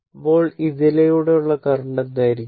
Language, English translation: Malayalam, Then, what will be the current through this